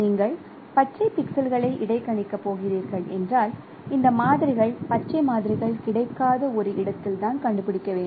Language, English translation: Tamil, So, when you are going to interpolate green pixel means these information we need to find out in a location where green samples are not available